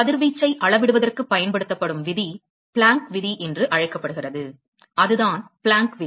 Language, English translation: Tamil, The law that is used for, quantifying radiation is called the Planck's Law; that is the Planck's Law